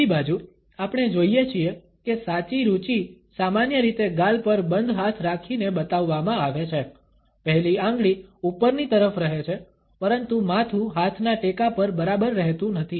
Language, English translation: Gujarati, On the other hand, we find that the genuine interest is shown by a closed hand resting on the cheek normally, with the index finger pointing upwards, but the head is not exactly resting on the support of the hand